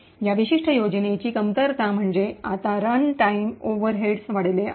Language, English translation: Marathi, The drawback of this particular scheme is that now the runtime overheads have increased